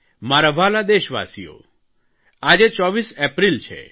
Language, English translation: Gujarati, My dear fellow citizens, today is the 24th of April